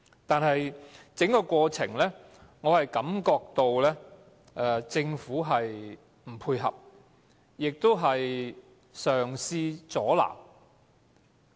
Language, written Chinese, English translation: Cantonese, 但是，在整個過程中，我感覺到政府不配合，更嘗試阻撓。, But I observe that the Government has been very in - cooperative throughout the whole process even to the extent of trying to stop the whole thing